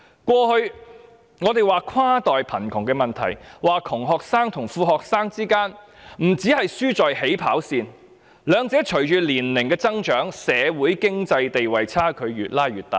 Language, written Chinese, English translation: Cantonese, 我們過去談跨代貧窮問題時，說窮學生與富學生之間，不單前者輸在起跑線，兩者隨着年齡增長，在社會、經濟和地位的差距亦會越拉越大。, In our previous discussions on inter - generational poverty we said that when compared with rich students poor students not only lose at the starting line but the gap between them in terms of social and economic standing will also be increasingly widened as they grow up